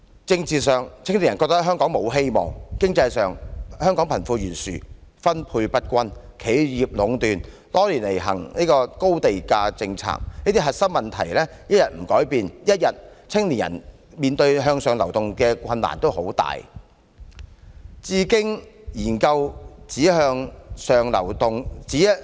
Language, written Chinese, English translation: Cantonese, 政治上，青年人覺得香港沒有希望；經濟上，香港貧富懸殊、分配不均，企業壟斷、多年來實行高地價政策，這些核心的結構問題一天不改變，青年人只會繼續面對很大的向上流動的困難。, Politically young people do not see any hopes for Hong Kong . Economically Hong Kong is plagued by the wide wealth gap inequality in distribution monopolization by some enterprises and the long - existing high land price policy . So long as no improvements are made to solve these core structural problems young people will continue to face huge difficulty in moving upward